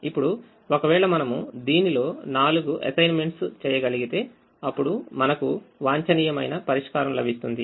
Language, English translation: Telugu, now if we were able to make four assignments in this, then we said we would get